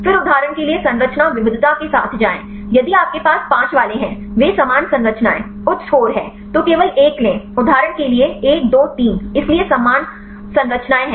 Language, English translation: Hindi, Then go with the structure diversity for example, if you have the 5 ones; they are similar structures, high scores; then take only 1; for example, 1, 2, 3; so there are similar structure